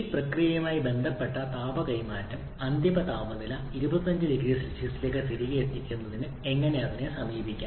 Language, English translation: Malayalam, And the heat transfer associated with this process to get the final temperature back to 25 degrees Celsius to how to approach it